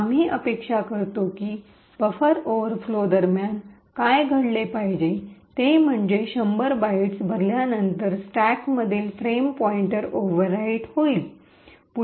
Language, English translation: Marathi, What we expect should happen during the buffer overflow is that after this 100 bytes gets filled the frame pointer which is stored in the stack will get overwritten